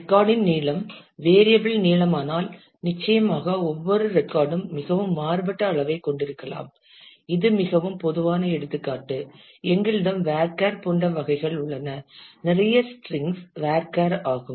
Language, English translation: Tamil, If the record becomes variable length, then certainly every record may of very different size and it is very common for example, we have types like varchar a lot of strings are varchar